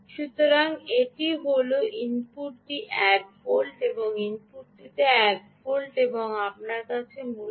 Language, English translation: Bengali, yeah, so thats, this is one volt at the input, um, and ah, one volt at the input and you basically have ah